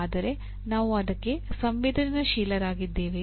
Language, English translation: Kannada, But are we sensitized to that